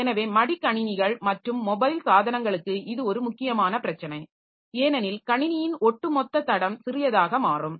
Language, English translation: Tamil, So, this is an important issue for laptops as well as mobile devices because the overall footprint of the system will become small